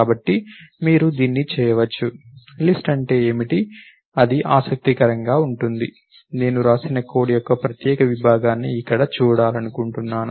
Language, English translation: Telugu, So, you can do this, so list is what is that, what is that interesting is I want to see this particular segment of code here which I have written